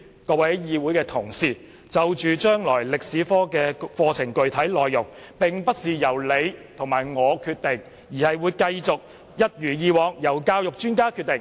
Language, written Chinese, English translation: Cantonese, 各位議會同事，將來中史科課程的具體內容，並非由你我決定，而是會一如以往由教育專家決定。, I would like to tell Honourable colleagues the specific contents of the future Chinese History curriculum will not be determined by us but by education experts as usual